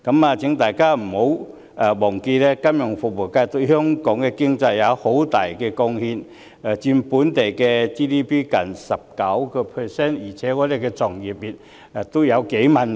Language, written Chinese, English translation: Cantonese, 我請大家不要忘記，金融服務業對香港經濟有很大貢獻，佔 GDP 近 19%， 我們的從業員也有數萬人。, I would like to ask Members not to forget that the financial services industry contributes to the Hong Kong economy considerably as it makes up close to 19 % of the Gross Domestic Product and employs tens of thousands of people